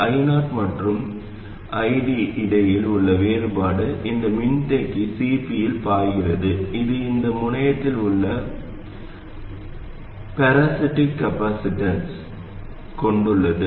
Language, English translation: Tamil, The difference between I 0 and I D flows into this capacitor CP which consists of the parasitic capacitance at this node